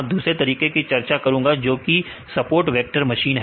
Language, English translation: Hindi, Then the second methods I will discuss about support vector machines right